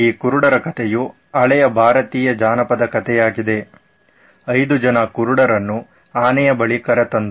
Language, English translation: Kannada, So these blind men, this is from an old Indian folklore so to speak, 5 men blind men were moved on to an elephant